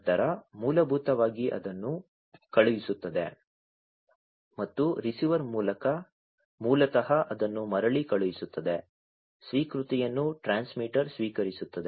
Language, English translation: Kannada, Then basically it sends it and the receiver basically will send it back, the acknowledgement will be received by the transmitter